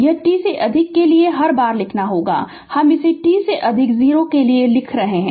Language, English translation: Hindi, This is for t grea[ter] every time you have to write we are writing this for t greater than 0 right